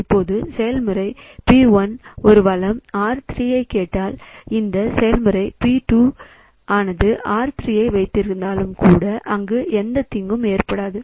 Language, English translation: Tamil, So, process P2 is currently holding the resources R1 and R2 but process P1 is not holding any resource